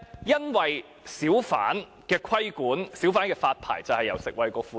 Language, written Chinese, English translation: Cantonese, 因為小販的規管及發牌都由食衞局負責。, It was because the Food and Health Bureau was responsible for the regulation and licensing of hawkers